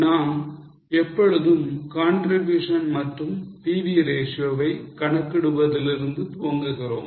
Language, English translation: Tamil, We always start with calculation of contribution and PV ratio